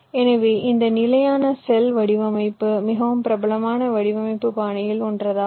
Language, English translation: Tamil, so this standard cell design is one of the most prevalent design style